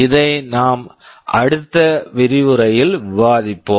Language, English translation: Tamil, This we shall be discussing in the next lecture